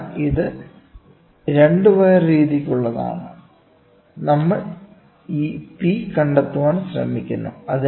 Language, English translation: Malayalam, So, this is for a 2 wire method, we are trying to find out this P